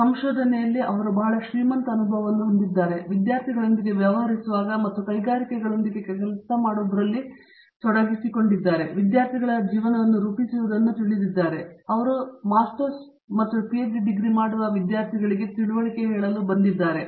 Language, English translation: Kannada, He has very rich experience in research, in dealing with students and dealing with working with industries; you know shaping students’ lives as they go about through their you know Masters Degrees, PhD Degrees and so on